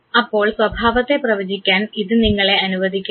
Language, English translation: Malayalam, So, it allows you to predict behavior